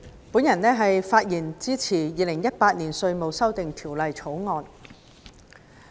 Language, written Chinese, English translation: Cantonese, 代理主席，我發言支持《2018年稅務條例草案》。, Deputy President I speak in support of the Inland Revenue Amendment No . 4 Bill 2018 the Bill